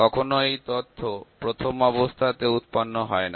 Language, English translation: Bengali, Sometimes the data is not generated at the first place